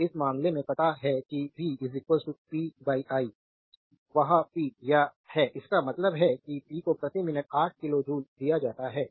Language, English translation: Hindi, So, in this case we know that your v is equal to p upon i right that is the power; that means, p is given 8 kilo joule per minute